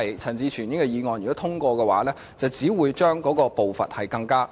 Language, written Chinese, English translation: Cantonese, 陳志全議員的議案如獲通過，只會令步伐更慢。, If the motion of Mr CHAN Chi - chuen is passed the pace will be made slower